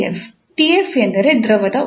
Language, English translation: Kannada, T f stands for the fluid temperature